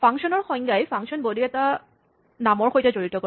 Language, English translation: Assamese, A function definition associates a function body with a name